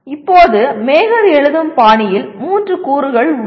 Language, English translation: Tamil, Now there are 3 elements in Mager style of writing